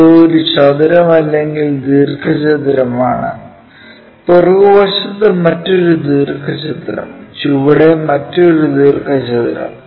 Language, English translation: Malayalam, Here let us look at this, this is a square or rectangle, another rectangle on the back side and another rectangle on the bottom side